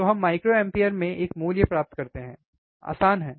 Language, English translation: Hindi, So, we get a value forin microampere, easy